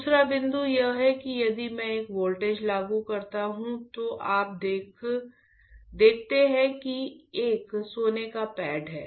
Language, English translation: Hindi, Second point is if I apply a voltage you see there is a gold pad